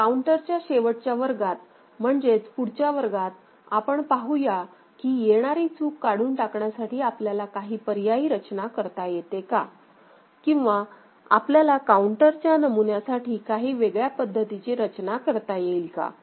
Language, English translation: Marathi, So, in the final class on this counter, the next class we shall see that what could be alternate arrangement by which we can get this glitch removed or we can have a different kind of counter design paradigm